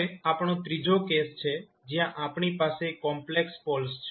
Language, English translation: Gujarati, Now, we have a third case, where we have complex poles